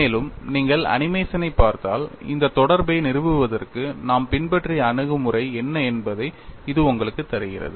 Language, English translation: Tamil, And if you watch the animation that gives you what is the kind of approach that we have adopted to establish this interrelationship